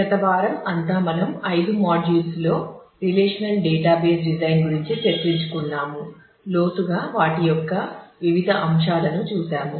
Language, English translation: Telugu, In the last week we have for the whole week in the five modules we have discussed about relational database design; in depth we have looked into what are the different aspects of that